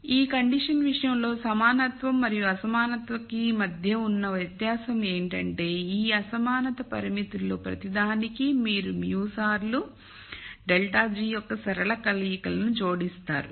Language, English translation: Telugu, So, the difference between this condition in the equality and inequality case is that for every one of these inequality constraints you add more linear combinations of mu times delta g